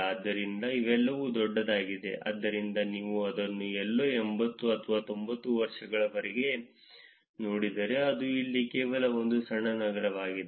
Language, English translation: Kannada, So, these are all large, so if you look at it somewhere around 80 or 90 years something that is only a small set of cities here